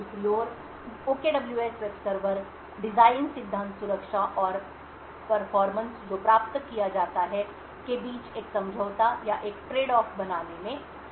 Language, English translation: Hindi, On the other hand, the OKWS web server design principle is able to create a compromise or a tradeoff between the security and the performance which is achieved